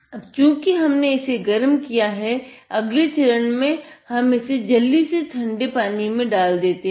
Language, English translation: Hindi, Now, that we have heated it, the next step is to drop it quickly in water